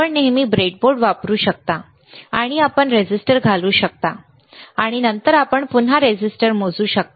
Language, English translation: Marathi, You can always use the breadboard, and you can insert the register, insert the resistor, and then you can again measure the resistance